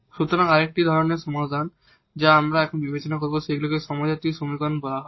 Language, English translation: Bengali, So, another type of equations we will consider now these are called the homogeneous equations